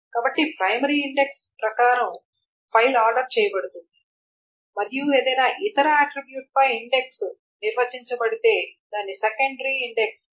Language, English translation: Telugu, So the file is ordered according to the primary index and any other attribute on which the index is done is called a secondary index